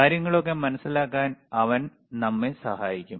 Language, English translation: Malayalam, So, he will help us to understand